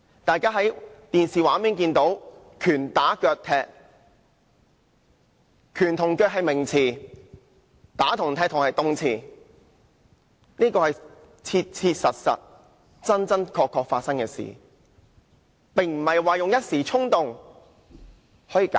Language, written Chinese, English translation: Cantonese, 大家在電視機畫面上看到，他們拳打腳踢受害人，"拳"和"腳"是名詞，"打"和"踢"是動詞，這是切切實實、真真確確發生的事，並不能以一時衝動來解釋。, As seen on the television they punched and kicked the victim with their fists and legs fists and legs are nouns while punched and kicked are verbs . It is a fact that the incident did happen which cannot be explained away by the mere excuse of a fleeting impulse